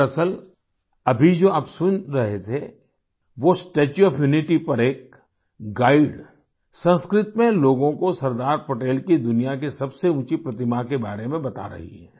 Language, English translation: Hindi, Actually, what you were listening to now is a guide at the Statue of Unity, informing people in Sanskrit about the tallest statue of Sardar Patel in the world